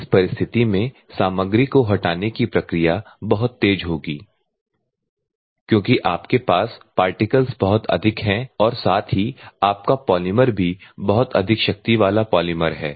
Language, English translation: Hindi, And you will have the material removal will be very fast in this curve in this circumstances because your particles are very high at the same time your polymer is also very high strength polymers